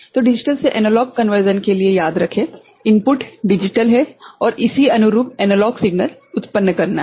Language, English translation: Hindi, So, remember for a digital to analog conversion, the input is digital right and corresponding analog signal is to be generated